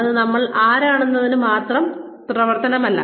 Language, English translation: Malayalam, It is not a function of, who we are